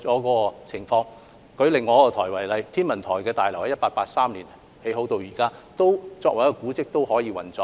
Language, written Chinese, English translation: Cantonese, 以另一個部門天文台為例，天文台大樓由1883年落成至今，作為一個古蹟仍然可以運作。, In the case of another department the Observatory for example the main building of the Observatory which was constructed in 1883 can still function today despite being a monument